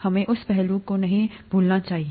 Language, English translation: Hindi, We should not forget that aspect